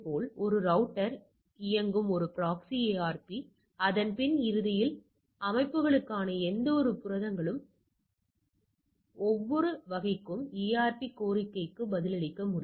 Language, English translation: Tamil, Now a proxy ARP running in a router can respond to an ARP request to for any type any of its proteges that is for its back end systems